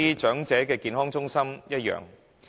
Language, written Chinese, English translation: Cantonese, 長者健康中心的情況亦然。, The situation is the same for Elderly Health Centres